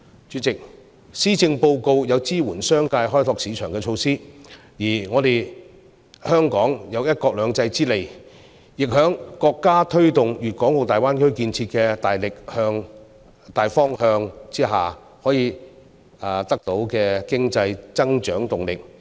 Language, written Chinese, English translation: Cantonese, 主席，施政報告有支援商界開拓市場的措施，而香港有"一國兩制"之利，在國家推動粵港澳大灣區建設的大方向之下，可以得到經濟增長動力。, President there are measures in the Policy Address to support the business sector in tapping new markets . We also have an edge under one country two systems . Leveraging these and moving in the main direction of promotion of the development of the Guangdong - Hong Kong - Macao Greater Bay Area by the State Hong Kong economy will be able to gather growth momentum